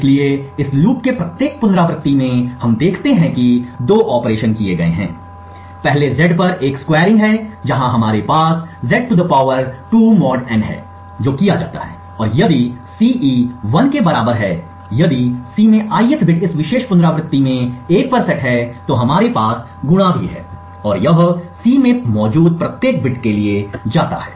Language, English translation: Hindi, So in each iteration of this loop we see that there are two operations that are performed, first is a squaring on Z, where we have (Z^2 mod n) that is performed and if Ci is equal to 1 that is if the ith bit in C in this particular iteration is set to 1, then we also have a multiplication and this goes on for every bit present in C